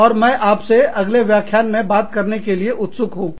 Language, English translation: Hindi, And, I look forward, to talking to you, in the next lecture